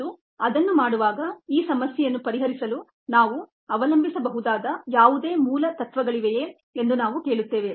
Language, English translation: Kannada, and while doing that, we will also ask: are there any basic principles that we can rely on to be able to solve this problem